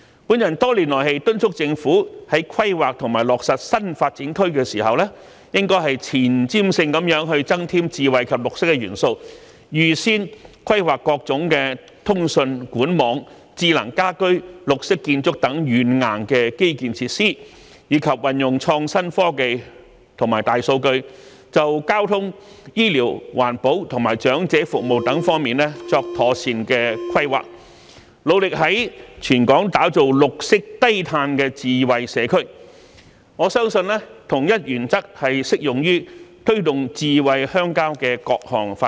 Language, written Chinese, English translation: Cantonese, 我多年來敦促政府在規劃和落實新發展區時，應前瞻性地增添智慧及綠色元素，預先規劃各種通訊、管網、智能家居、綠色建築等軟硬基建設施，以及運用創新科技和大數據，就交通、醫療、環保和長者服務等方面作妥善規劃，致力在全港打造綠色低碳智慧社區，我相信同一原則亦適用於推動"智慧鄉郊"的各項發展。, I have urged the Government for years to be more forward - looking in planning and finalizing new development areas by adding smart and green elements into the projects and making advance planning of both hardware and software infrastructures such as telecommunication pipe network smart home green architecture etc and using innovative technology and big data to make proper planning of transport healthcare environment protection and elderly service with a view to turning Hong Kong into a green and low - carbon smart society . I believe that the same principle is applicable to the various development initiatives for promoting smart rural areas